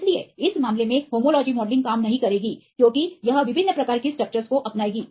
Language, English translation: Hindi, So, in this case the homology modelling would not work because it will adopt different types of structures